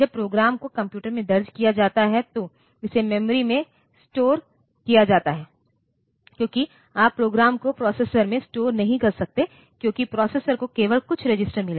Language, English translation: Hindi, When a program is entered into the computer it is stored in the memory, because you cannot store the program in the processor, because processor has got only a few registers